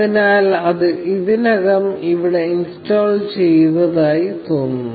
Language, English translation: Malayalam, So, it looks like, it is already installed here